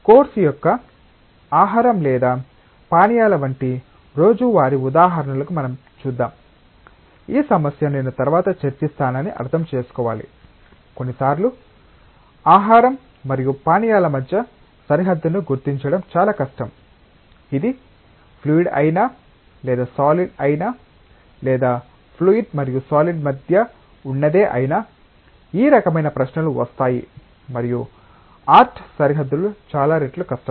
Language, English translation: Telugu, Let us come to more common day to day examples like food or drinks of course, we need to understand that I mean this issue we will discuss later on that sometimes it is very difficult to demarcate between a food and drink right, whether it s a fluid or it is a solid or it is something in between fluid and solid, this kind of questions come and art demarcations are many times difficult